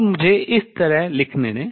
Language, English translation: Hindi, So, let us see that